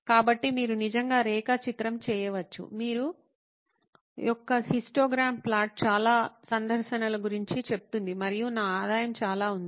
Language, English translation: Telugu, So you can actually plot, say a histogram plot of you know so many visits and so much is my revenue